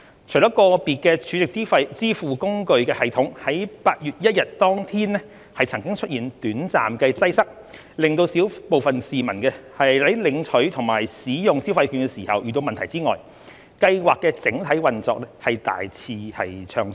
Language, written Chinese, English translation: Cantonese, 除了個別儲值支付工具的系統在8月1日當天曾經出現短暫擠塞，令小部分市民在領取和使用消費券時遇到問題外，計劃的整體運作大致暢順。, Apart from certain short term congestions of individual SVFs system on 1 August which affected a small group of people in receiving or using the consumption vouchers the overall operation of the Scheme was generally smooth